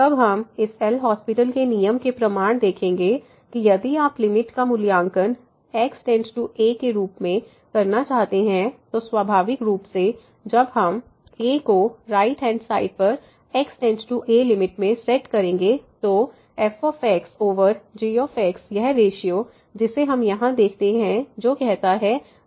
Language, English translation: Hindi, Then we will see in the proof of this L’Hospital’s rule that if you want to evaluate the limit as goes to , naturally in the setting a from the right hand side the limit the right limit as goes to a over this ratio which directly we see here which says is